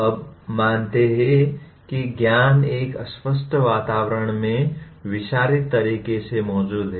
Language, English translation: Hindi, We consider the knowledge exist in a diffused way in a nebulous environments